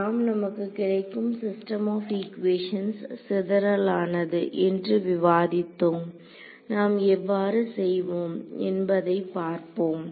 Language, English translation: Tamil, Now, can we argue that the system of equations I get is sparse, let us look at the how should we do this